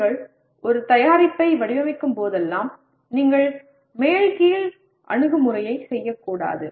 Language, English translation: Tamil, That is whenever you design a product you should do top down approach not bottoms up